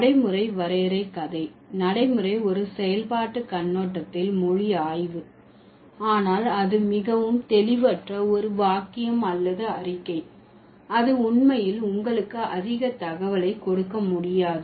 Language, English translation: Tamil, The pragmatic definition story is, pragmatics is the study of language from a functional perspective, but that's also a vague, superfluous kind of a sentence or statement, it doesn't really give you much information